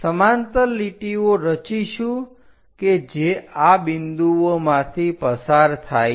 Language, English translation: Gujarati, Construct parallel lines which are passing through these points